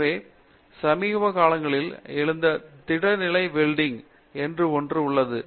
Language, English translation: Tamil, So, there is something called solid state welding that has come up in recent times